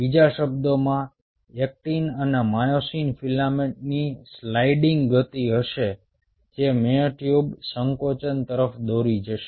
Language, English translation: Gujarati, in other word, there will be a sliding motion of the actin and myosin filaments within the myotubes, leading to contraction